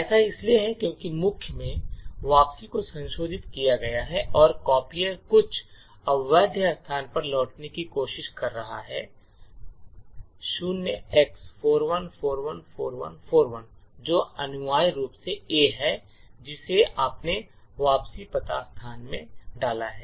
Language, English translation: Hindi, This is because the return to main has been modified and the copier is trying to return to some invalid argument at a location 0x41414141 which is essentially the A’s that you are inserted in the return address location and which has illegal instructions